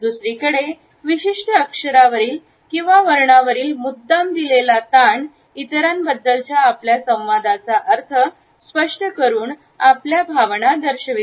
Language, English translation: Marathi, On the other hand the deliberate stress on a particular syllable or on a particular word communicates our meanings and indicates our feelings towards other person